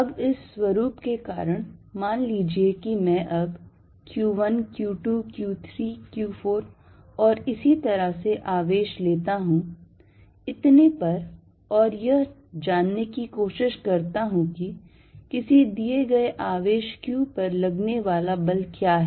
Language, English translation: Hindi, Now because of this nature; suppose I take now charge Q1, Q2, Q3, Q4 and so on, and try to find what is the force on a given charge q